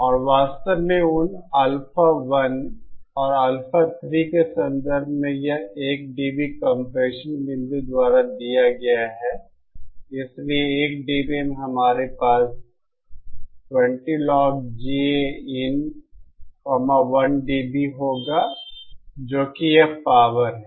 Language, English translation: Hindi, And in fact, in terms of those Alpha 1 and Alpha 3, this 1 dB compression point is given byÉ So at the 1 dB, we will have 20 log g A in 1dB that is this power